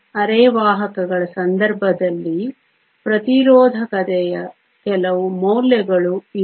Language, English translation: Kannada, These are some of the values for resistivity in the case of semiconductors